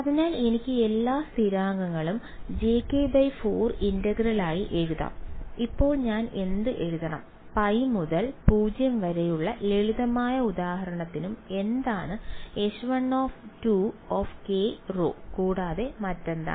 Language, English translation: Malayalam, So, I can write all the constants out j k by 4 integral, now what should I write, what can I will write the limits of integration as pi to 0 as we did in the simple example pi to 0 and what is H 1 2 k rho and what else